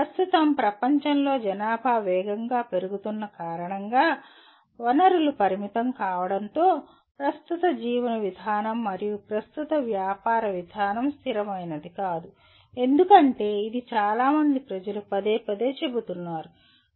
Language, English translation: Telugu, In a world that this is a fast growing population with resources being limited, so the current way of living and current way of doing business is not sustainable as it is being repeatedly stated by so many people